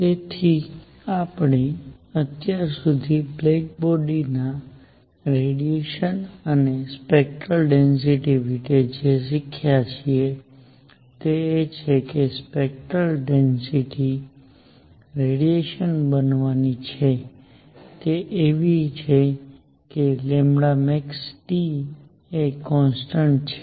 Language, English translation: Gujarati, So, what we have learnt so far about black body radiation and its spectral density is that the spectral density is going to be the radiation is such that lambda max times T is a constant